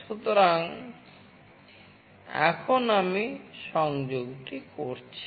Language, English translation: Bengali, So now, I will be doing the connection